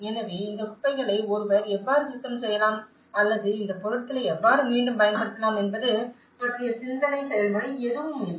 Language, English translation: Tamil, So, there is no thought process of how one can even clean up this debris or how we can reuse these materials